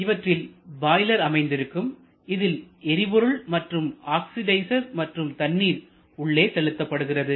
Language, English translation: Tamil, So, in the boiler we supply fuel, we supply oxidizer and we also supply water